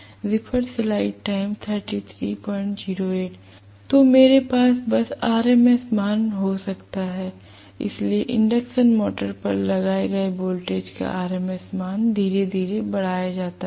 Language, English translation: Hindi, So, I can just have the RMS value, so RMS value of the voltage applied to the induction motor is increased slowly